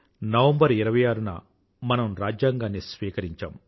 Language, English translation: Telugu, Our Constitution was adopted on 26th November, 1949